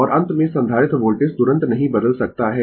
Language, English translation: Hindi, And at the end, capacitor voltage cannot change instantaneously